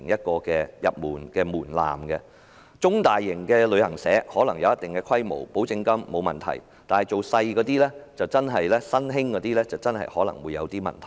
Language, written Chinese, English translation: Cantonese, 具有一定規模的中大型旅行社，繳付保證金是沒有問題的，但一些較小型的新興公司可能會有些問題。, Depositing guarantee money is not a problem to medium and large travel agents but it might be a problem to some new companies of smaller scale